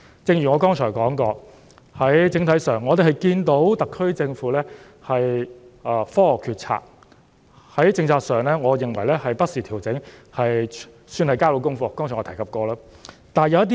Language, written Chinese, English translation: Cantonese, 正如我剛才提到，整體上，我們看到特區政府是基於科學作出決策，而在政策上，我認為政府已不時作出調整，算是能夠交到功課，這點我剛才已有提及。, As I said earlier overall speaking we can see that the decisions of the SAR Government are scientifically - based and in terms of policies I think the Government has made adjustments from time to time and I would say that the Government has done its part . I have made this point earlier on